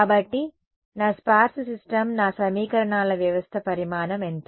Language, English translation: Telugu, So, my sparse system what is the size of my equations system of equations